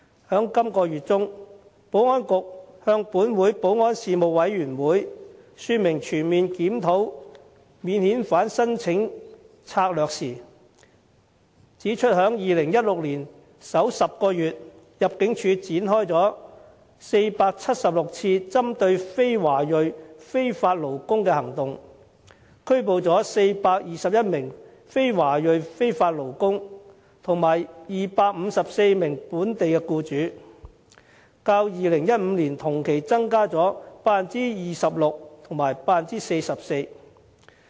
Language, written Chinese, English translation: Cantonese, 在本月中，保安局向本會保安事務委員會說明全面檢討免遣返聲請策略時指出，在2016年首10個月，入境處展開了476次針對非華裔非法勞工的行動，拘捕了421名非華裔非法勞工及254名本地僱主，較2015年同期增加了 26% 及 44%。, When the Security Bureau explained its comprehensive review of the strategy for handling non - refoulement claims to this Councils Panel on Security the Panel in the middle of this month they pointed out that in the first 10 months of 2016 ImmD launched 476 operations targeting on non - ethnic - Chinese illegal workers and arrested 421 such workers and 254 local employers . These figures registered an increase of 26 % and 44 % over the figures in the same period of 2015